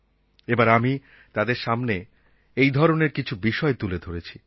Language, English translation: Bengali, This time I put some issues before them